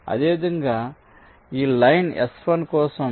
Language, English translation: Telugu, similarly, for this green line s one